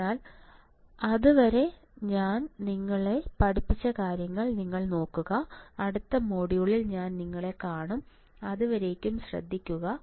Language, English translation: Malayalam, So, till then you just look at the things that I have taught you, and I will see you in the next module take care, bye